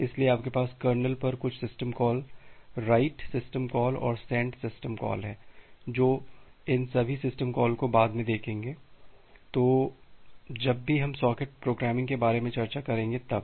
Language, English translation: Hindi, So, you have certain system call at the kernel the write() system call and the send() system call – we’ll look into all this system calls later on whenever we discuss about the socket programming